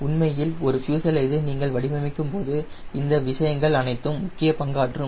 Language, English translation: Tamil, so all those things playing important role when will be actually designing a fuselage will try to incorporate those things